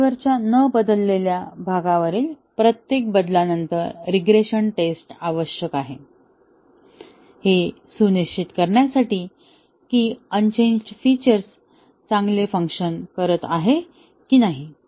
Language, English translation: Marathi, The regression testing is needed after every change on the unchanged part of the software, to ensure that the unchanged features continue to work fine